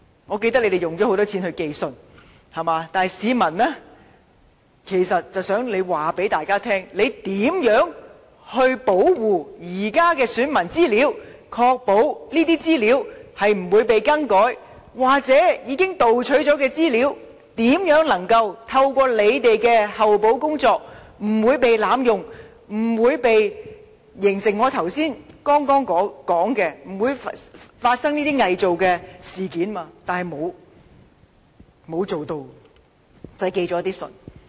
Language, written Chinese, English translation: Cantonese, 我記得政府花了很多錢寄信通知市民，但其實市民只是想政府告訴大家，當局將會如何保護現時的選民資料，以確保這些資料不會被更改，或是對於已被盜取的資料，政府如何透過後補工作保證不被濫用，可防止我剛才提到偽造文件等情況。, I remember that the Government has spent a lot of money on sending out letters informing the electors affected by the incident . But in fact what the public expect is that the Government can explain how the existing personal data of our electors are protected against tampering or what remedial measures have been carried out to ensure the stolen data will not be misused and be protected against illegal use such as those cases I mentioned